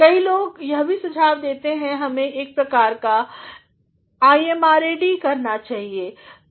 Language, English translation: Hindi, Many people also suggest that one should do a sort of IMRAD